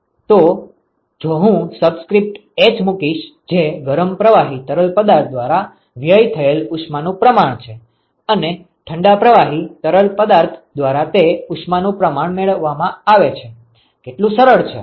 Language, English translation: Gujarati, So, if I put subscript h that is the amount of heat that is lost by the hot fluid, and what is the amount of heat that is gained by the cold fluid easy right